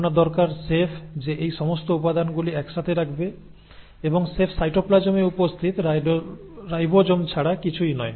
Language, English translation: Bengali, You need the chef is going to put in all these ingredients together and the chef is nothing but the ribosomes which are present in the cytoplasm